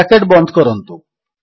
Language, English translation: Odia, Close the brace